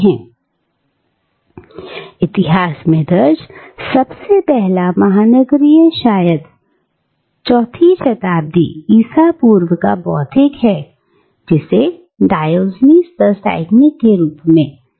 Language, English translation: Hindi, Now, the first recorded cosmopolitan in history is perhaps the 4th century BCE intellectual, who is known as Diogenes the Cynic